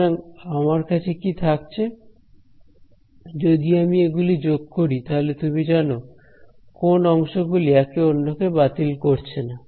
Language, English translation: Bengali, So, what will I be left with if I sum it up over this you know if I sum it up over all of these patches, what are the parts that will not cancel